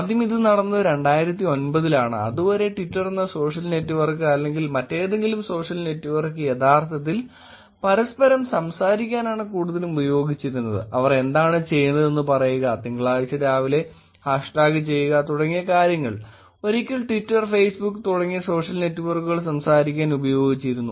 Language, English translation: Malayalam, ’ First until then this was in 2009 until then, the social network Twitter or any other social network was actually mostly used for talking to each other, saying what they are doing, hash tag Monday morning, things like that, were the once that were used to talk on social networks like Twitter and Facebook